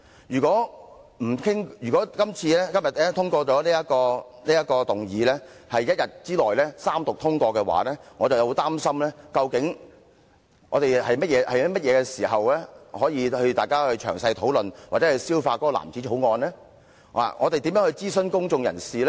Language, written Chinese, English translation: Cantonese, 如果議案獲得通過，在今天一天之內三讀通過這項《條例草案》，我會很擔心，究竟我們何時可以詳細討論或消化這藍紙條例草案？我們如何諮詢公眾人士？, If the motion was agreed to and the Bill passed after Third Reading within one day today I would feel very concerned about when we would have the opportunity to discuss in detail or gain a full understanding of the blue bill or how we should consult the public and the industry